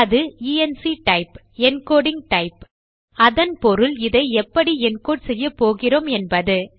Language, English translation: Tamil, Its enctype, encoding type which means how we are going to encode this